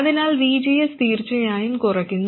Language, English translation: Malayalam, So VGS definitely reduces